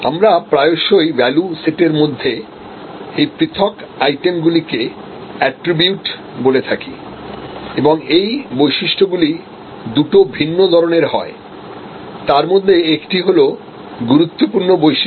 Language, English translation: Bengali, We often call also these individual items in the value proposition as attributes and this attributes are of two different types, one is important attribute